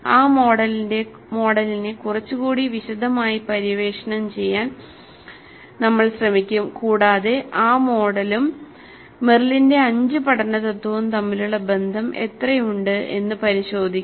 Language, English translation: Malayalam, We will try to explore that model in a little bit more detail and see the correspondence between that model and Merrill's five first principles of learning